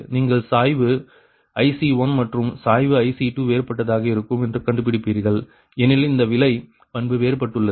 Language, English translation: Tamil, right, you will find the slope ic one and slope ic two will be different because this cost characteristic is different for a change in your what you call that low